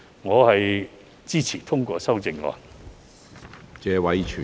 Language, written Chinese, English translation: Cantonese, 我支持通過修正案。, I support the passage of CSAs